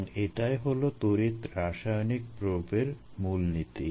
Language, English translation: Bengali, and then this is the principle here of the electrochemical probe